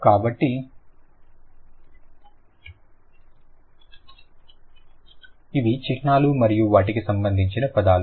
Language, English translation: Telugu, So, these are the symbols and their corresponding words